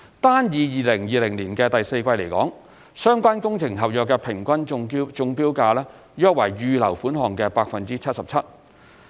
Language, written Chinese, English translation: Cantonese, 單以2020年的第四季來說，相關工程合約的平均中標價約為預留款項的 77%。, As far as the fourth quarter of 2020 is concerned the accepted tender prices on average are around 77 % of the Sums Allowed